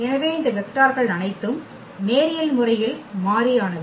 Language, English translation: Tamil, So, all these vectors are linearly independent